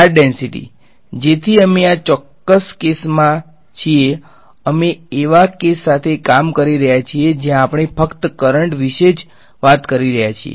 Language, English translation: Gujarati, Charge density so we are in this particular case we are dealing with a case where we are talking only about currents ok